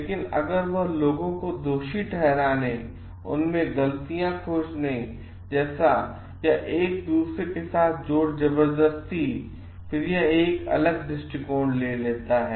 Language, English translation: Hindi, But if that takes turn into like blaming people and like finding out force with each other, then it takes a different perspective